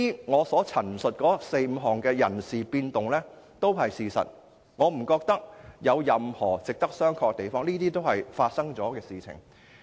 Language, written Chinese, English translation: Cantonese, 我所述的四、五項人事變動都是事實，我不認為有任何值得商榷的地方，並且是已經發生的事。, The four or five personnel changes I have talked about are all based on facts and I do not see any need for verification . Besides all this has already happened